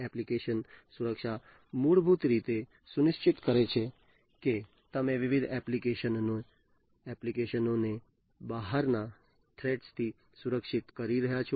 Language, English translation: Gujarati, Application security basically ensures that you are protecting the different applications from outsider threats